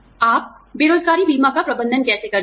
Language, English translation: Hindi, How do you manage, unemployment insurance